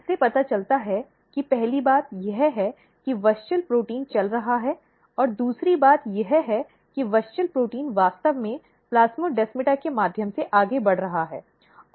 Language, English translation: Hindi, This suggest that first thing is that WUSCHEL protein is moving and second thing is that WUSCHEL protein is actually moving through the plasmodesmata